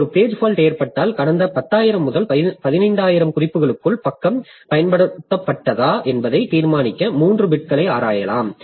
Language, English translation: Tamil, So if a page for talkers, we can examine the three bits to determine whether the page was used within the last 10,000 to 15,000 references